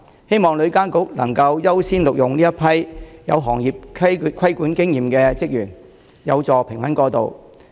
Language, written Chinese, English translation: Cantonese, 希望旅監局能夠優先錄用有行業規管經驗的職員，以助平穩過渡。, I hope TIA will give priority to employ staff with experience in trade regulation so as to facilitate smooth transition